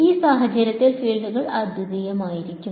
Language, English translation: Malayalam, So, in this case the fields are going to be unique